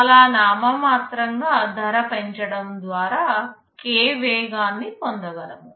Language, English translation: Telugu, By very nominal increase in cost we are achieving close to k speed up